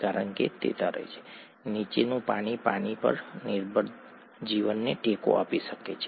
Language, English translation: Gujarati, Because it floats, the water below can support life that depends on water